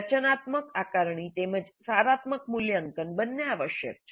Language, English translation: Gujarati, Formative assessment as well as summative assessment and evaluations are essential